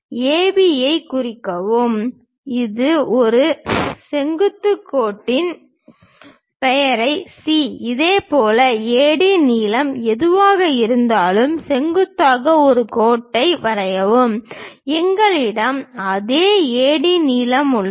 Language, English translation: Tamil, Mark AB, drop A perpendicular line name it C; similarly, drop a perpendicular line whatever AD length is there, we have the same AD length